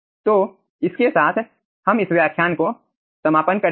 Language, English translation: Hindi, okay, so with this we will be concluding this lecture, thank you